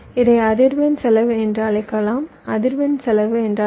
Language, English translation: Tamil, what is frequency cost